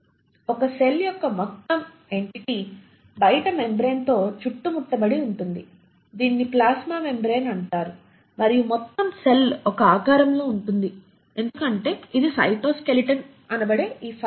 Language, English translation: Telugu, The whole entity of a cell is then surrounded by the outermost membrane which is what you call as the plasma membrane and the whole cell is held in shape because it consists of these fibre which are the cytoskeleton